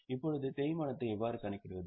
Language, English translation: Tamil, Now, how do you compute depreciation